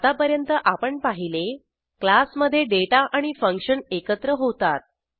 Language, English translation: Marathi, So far now we have seen, The data and functions combined together in a class